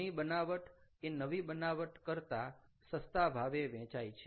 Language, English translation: Gujarati, of course an old product sells for less than a new product